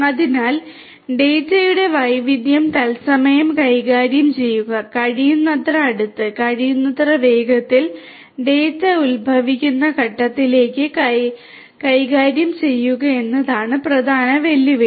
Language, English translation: Malayalam, So, the major challenge is to handle the diversity of the data in real time and as close as possible and as fast as possible to the point from which the data are originating